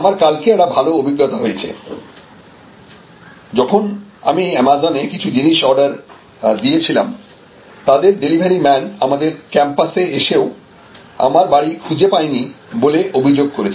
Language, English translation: Bengali, I had a very good experience yesterday, when I had ordered some stuff on an Amazon and the delivery courier came to our campus and could not deliver the stuff to me, because allegedly he could not find the building